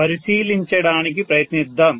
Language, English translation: Telugu, Let us try to take a look